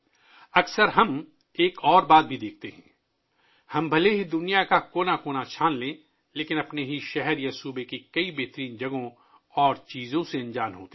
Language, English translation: Urdu, Often we also see one more thing…despite having searched every corner of the world, we are unaware of many best places and things in our own city or state